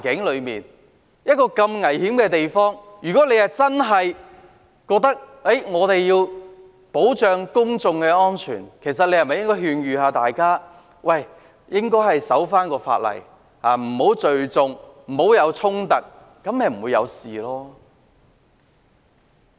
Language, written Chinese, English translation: Cantonese, 在一個如此危險的地方，如果他真的認為要保障公眾安全，其實是否應該勸諭大家守法，不要聚眾，不要衝突？, In such a dangerous place if he really saw the need to protect public safety should he not advise the people to abide by the law stop gathering and avoid conflicts?